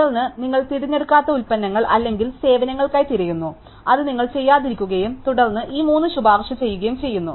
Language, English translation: Malayalam, And then, it looks for products or services that category has opted for, which you have not and then recommends these three